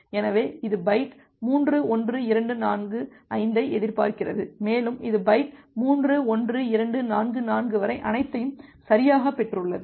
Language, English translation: Tamil, So, it is expecting byte 3, 1, 2, 4, 5 and it has received everything correctly up to byte 3, 1, 2, 4, 4